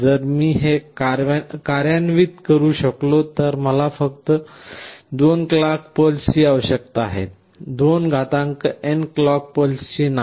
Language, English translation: Marathi, So, if I can implement this I need only n clock pulses and not 2n clock pulses